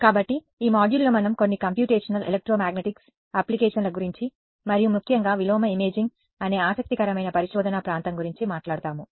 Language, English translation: Telugu, So in this module we will be talking about some of the applications of Computational Electromagnetics and in particular an interesting area of research called inverse imaging ok